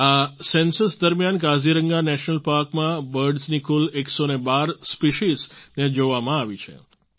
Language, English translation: Gujarati, A total of 112 Species of Birds have been sighted in Kaziranga National Park during this Census